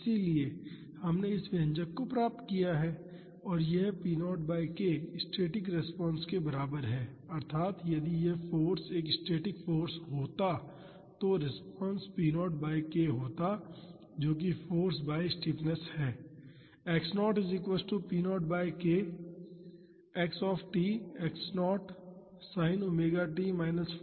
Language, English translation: Hindi, So, we have derived this expression and this p naught by k is equivalent to the static response that is if this force was a static force the response would have been p naught by k that is force by stiffness